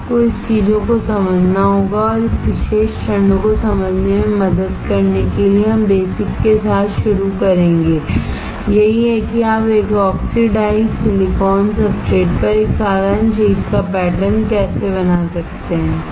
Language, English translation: Hindi, You have to understand this things and to understand to help to understand this particular steps, we will start with basic, that is how you can pattern a simple thing on an oxidized silicon substrate